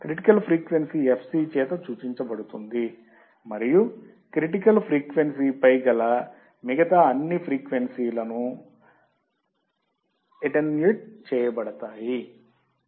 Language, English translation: Telugu, Critical frequency, can be denoted by fc and significantly attenuates all the other frequencies